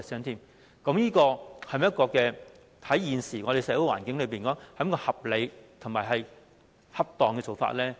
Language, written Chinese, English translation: Cantonese, 那麼，對於現時的社會環境而言，這是否合理和恰當的做法呢？, Is this a reasonable and appropriate practice in view of the current social situation?